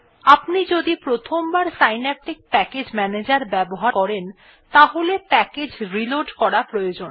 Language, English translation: Bengali, If you are using the synaptic package manager for the first time, you need to reload the packages